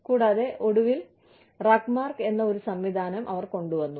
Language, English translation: Malayalam, And, they eventually came up with a system called, RUGMARK